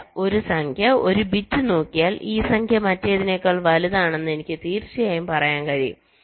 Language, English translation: Malayalam, no, just by looking at one number, one bit, i can definitely say that this number is greater than the other